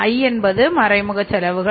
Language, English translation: Tamil, I is the indirect cost